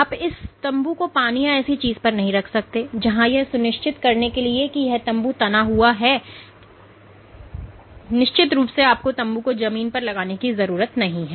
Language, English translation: Hindi, So, you cannot put this tent on water or something where this tension required for making sure the tent is taut cannot be sustained and of course, you need to fix the tent to the ground